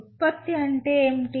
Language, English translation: Telugu, What is the product